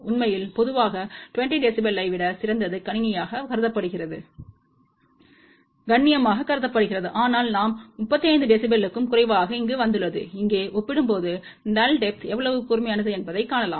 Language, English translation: Tamil, In fact, generally better than 20 dB is considered decent, but we got over here less than 35 dB, you can see that compared to here see how sharp the null depth